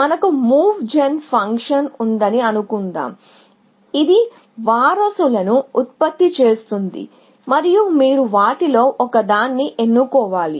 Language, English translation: Telugu, We have a move gen function, which generates successors and you have to choose one of them, and so on